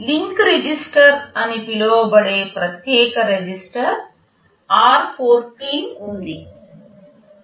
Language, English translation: Telugu, There is a special register r14 which is called the link register